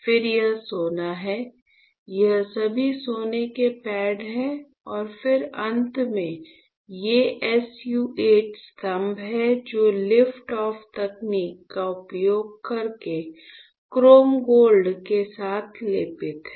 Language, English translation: Hindi, Then this is gold, these are all gold pads and then finally, these are SU 8 pillars which are coated with chrome gold using liftoff technique